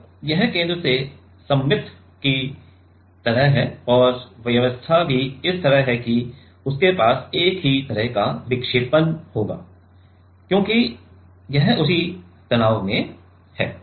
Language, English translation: Hindi, So, these are like symmetric from the center and the arrangement is also like that it will have; it will have the same kind of deflection because it is under the same stress